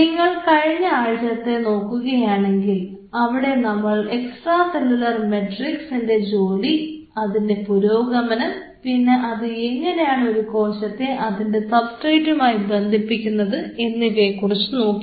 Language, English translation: Malayalam, If you recollect in the last week, while we were discussing about the role of extracellular matrix we talked about the kind of developmental aspects and the way the extracellular matrix anchors the cells on the substrate